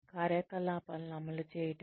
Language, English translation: Telugu, Implementing the programs